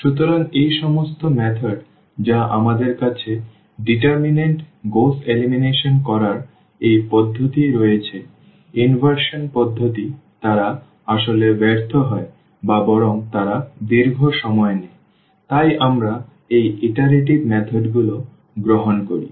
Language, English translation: Bengali, So, these all these methods which we have this method of determinant Gauss elimination, inversion method they actually fails or rather they take longer time, so, we take these iterative methods